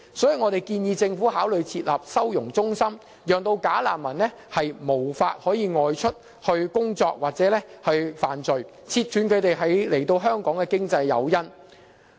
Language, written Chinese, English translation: Cantonese, 因此，我們建議政府考慮設立收容中心，令"假難民"無法外出工作或犯罪，切斷他們來港的經濟誘因。, Therefore we suggest the Government to consider setting up holding centres so that no bogus refugee can work or commit any offence outside . This can also contribute to remove the economic incentives for them to come to Hong Kong